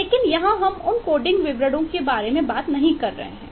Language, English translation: Hindi, but here we are not talking about those coding details